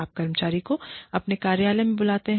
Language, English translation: Hindi, You call the employee, to your office